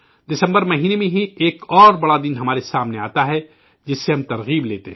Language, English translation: Urdu, In the month of December, another big day is ahead of us from which we take inspiration